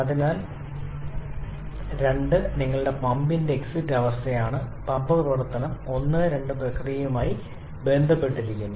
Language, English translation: Malayalam, So, 2 is the exit state of the pump that is your pump operation is associated with the process 1 2